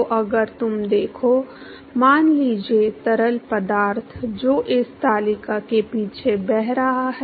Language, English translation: Hindi, So, if you look at; let say fluid which is flowing past this table